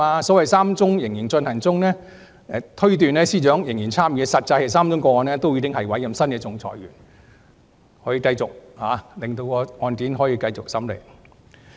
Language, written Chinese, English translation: Cantonese, 由於3宗個案仍然進行，因此有人推斷司長仍然參與其中，實際是3宗個案均已再委任新的仲裁員，繼續餘下的審理程序。, As the three cases are still in process some people infer that the Secretary for Justice is still involved . In fact all three cases have appointed new arbitrators to continue with the remaining procedures